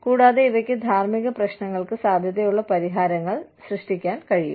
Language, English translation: Malayalam, And, these can generate, potential solutions to ethical problems